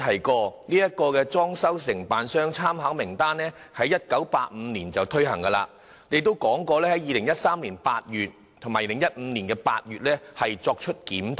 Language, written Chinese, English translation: Cantonese, 局長剛才提到參考名單的制度在1982年推行，並在2013年8月及2015年8月進行檢討。, The Secretary mentioned just now that the Reference List System was implemented in 1982 and reviewed in August 2013 and August 2015